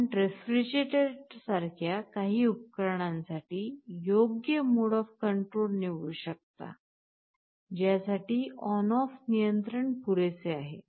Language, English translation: Marathi, You may choose to select the appropriate mode of control for some appliances like the refrigerator, for which on off control is good enough